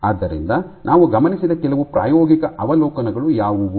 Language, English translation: Kannada, So, what are some of the experimental observations that we observed